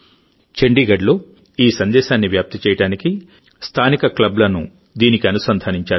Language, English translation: Telugu, To spread this message in Chandigarh, Local Clubs have been linked with it